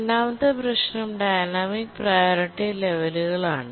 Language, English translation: Malayalam, And the second issue is the dynamic priority levels